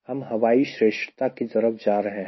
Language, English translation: Hindi, i am now going towards air superiority